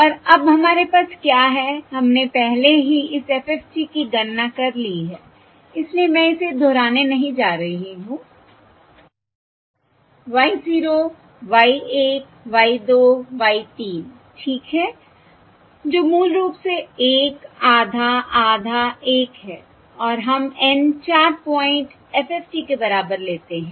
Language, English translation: Hindi, okay, And now what we have is we have already calculated this FFT before, so I am not going to repeat that y, 0, y, 1, y, 2, y, 3, okay, which are basically 1 half half 1